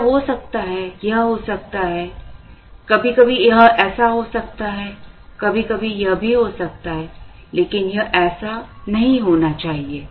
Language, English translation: Hindi, It could be this, it could be this, sometimes it could be this, sometimes it could even be this, but it should not be this